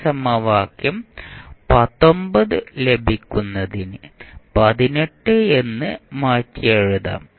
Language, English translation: Malayalam, So, what you can write for this equation